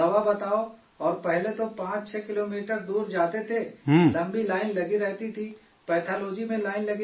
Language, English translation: Urdu, And earlier they used to go 56 kilometres away… there used to be long queues… there used to be queues in Pathology